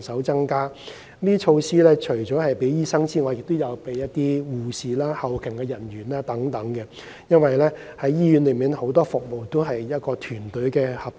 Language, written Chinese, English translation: Cantonese, 這些措施除了針對醫生，還會針對護士和後勤人員，因為醫院內很多服務都需要團隊合作。, These measures target doctors as well as nurses and support staff because many services in hospitals require teamwork